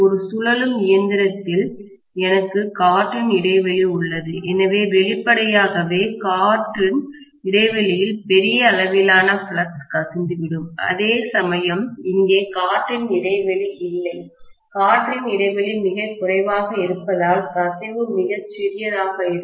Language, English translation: Tamil, In a rotating machine I have air gap, so obviously there will be huge amount of flux probably leaking into the air gap space, whereas there is no air gap here, because air gap is very minimal, the leakage will be very very small